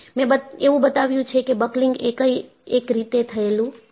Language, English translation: Gujarati, I have shown that buckling has happened in one way